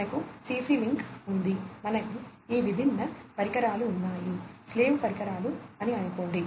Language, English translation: Telugu, So, we have in CC link, we have we have these different devices, let us say the slave devices